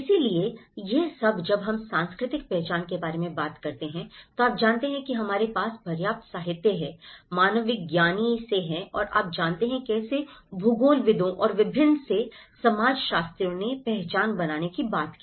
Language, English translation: Hindi, So, this all when we talk about cultural identity you know there is enough of literature we have from the anthropologist and you know, how from the geographers and various sociologists who talked about building the identity